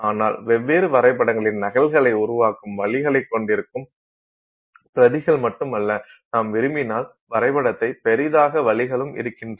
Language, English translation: Tamil, So, but they did have ways of making copies of different diagrams and not just copies, you could also have ways in which you could magnify the diagram if you wanted